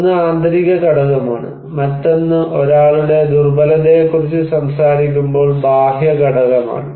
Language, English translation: Malayalam, One is internal component, another one is external component when we are talking about someone's vulnerability